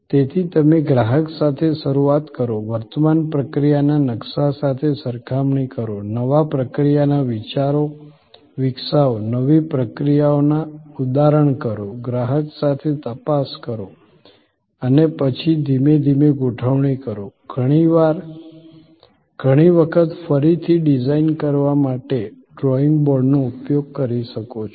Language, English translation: Gujarati, So, you start with the customer, compare with the current process map, develop new process ideas, prototype the new processes, check with the customer and then deploy gradually, often go back to the drawing board to redesign